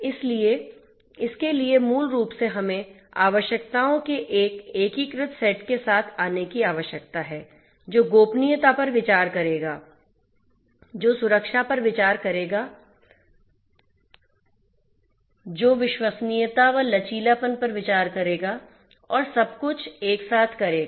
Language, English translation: Hindi, So, for this basically we need to come up with an integrated set of requirements which will consider privacy, which will consider safety, which will consider security, which will consider reliability and resilience everything together ok